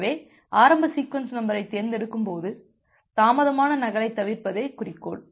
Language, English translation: Tamil, So, while choosing the initial sequence number the objective is to avoid the delayed duplicate